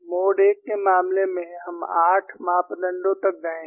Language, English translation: Hindi, For the case of mode 1, we have gone up to 8 parameters; I will also go up to 8 parameters